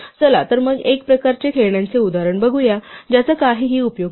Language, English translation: Marathi, So let us look at again at a kind of toy example which does not have anything useful to do